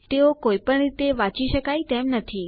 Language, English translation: Gujarati, They are not readable in any way